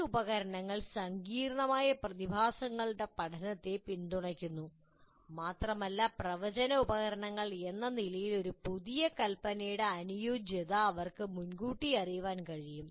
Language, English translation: Malayalam, And these tools support the study of complex phenomena and as a predictive tools they can anticipate the suitability of a new design